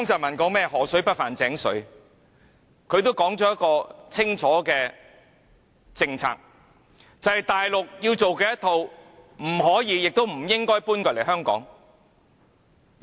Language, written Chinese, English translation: Cantonese, 他說河水不犯井水，定下清楚的政策，便是大陸做的一套不可以、亦不應該搬來香港。, He said river water would not interfere with well water . He set out a clear policy and that is the practices adopted in the Mainland could not and should not be adopted in Hong Kong